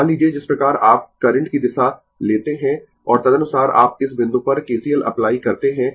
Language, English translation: Hindi, Suppose ah the way you take the direction of the current and accordingly you apply KCL at this point right